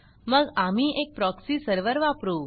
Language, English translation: Marathi, So we use a proxy server